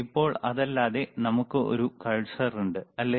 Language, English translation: Malayalam, Now other than that, we have cursor, right